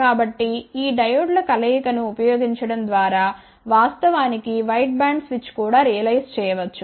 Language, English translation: Telugu, So, by using combinations of these diodes, one can actually realize wideband switch also